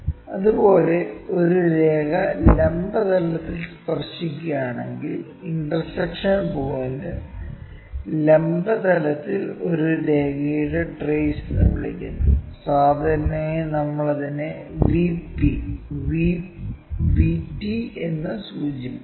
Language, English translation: Malayalam, Similarly, if a line is touching the vertical plane the intersection point either that or the extension point that is what we call trace of a line on vertical plane, and usually we denote it by VP VT